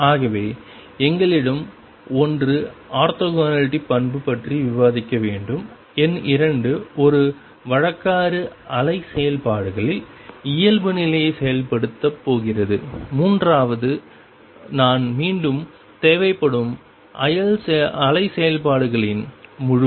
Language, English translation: Tamil, So, we have one discuss the property orthogonality, number 2 a convention that going to enforce normality on the wave functions, and third which I will require again is completeness of wave functions